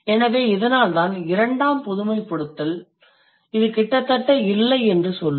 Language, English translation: Tamil, So that is why the second generalization will say that this is almost non existent